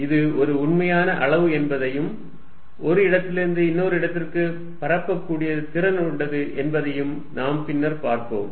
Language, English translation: Tamil, We will see later in the course that it is a real quantity that is capable of propagating from one place to the other